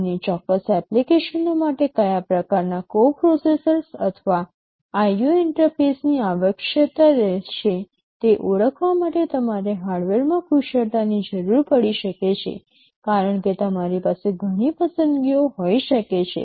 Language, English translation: Gujarati, You may need expertise in hardware to identify what kind of coprocessors or IO interfaces you will be requiring for a certain applications, because you may have several choices